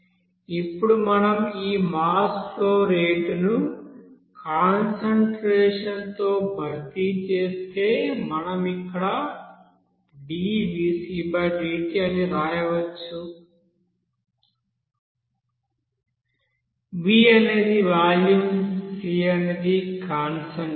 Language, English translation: Telugu, Now if we replace this you know mass flow rate in terms of concentration we can write here d/dt, v is the volume c is the concentration by dt